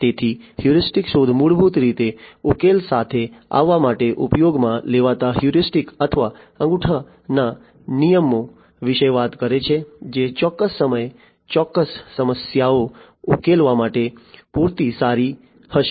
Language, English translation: Gujarati, So, heuristic search basically talks about heuristics or rules of thumb being used to come up with solutions which will be good enough to solve certain problems at a certain point of time